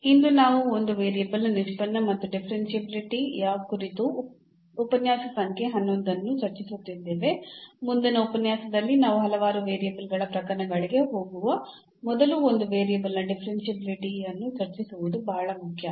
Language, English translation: Kannada, And today’s we are discussing lecture number 11 on Derivatives and Differentiability of One Variable; actually it is very important to discuss differentiability of one variable before we go for the several variable case in the next lecture